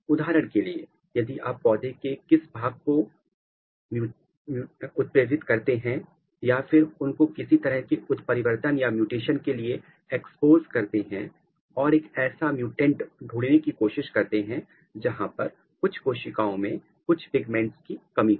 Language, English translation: Hindi, So, for example, if you take this plant or in any part of the plant and if you mutagenize them or you expose them for some kind of mutagen and try to find out a mutant where, some cells they lack some kind of pigments, let’s assume chlorophyll